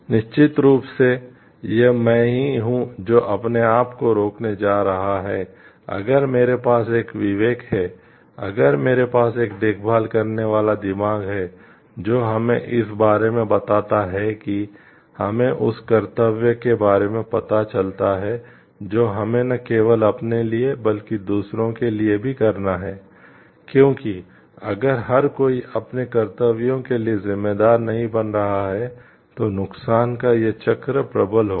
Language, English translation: Hindi, Of course, it is me who is going to stop myself if I do have a conscience, if I do have a caring mind which tells us about the like makes us aware of the duty that we have not only to ourselves but also to others, because if everybody is not becoming responsible for their duties this cycle of harm is going to prevail